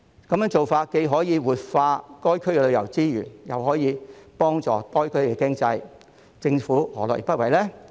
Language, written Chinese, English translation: Cantonese, 這樣既可活化該區的旅遊資源，又可以幫助該區的經濟，政府何樂而不為呢？, This will help revive the tourism resources and improve the economy of the area . Why would the Government decline to do so?